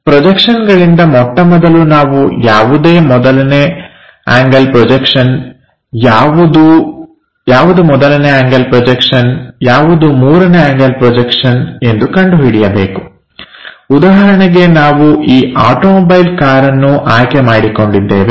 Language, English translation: Kannada, So, from projections first of all we have to recognize which one is 1st angle projection which one is 3rd angle projection